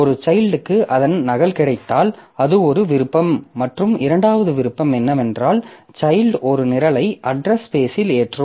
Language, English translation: Tamil, So, if a child gets a duplicate of that, so that is one that is one option and the second option is that the child loads a program into the into the address space